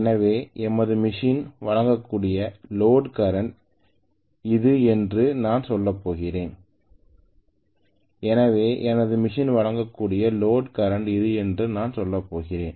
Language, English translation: Tamil, So I am going to say that this is the load current my machine can supply but when I am talking about how much I can over load a machine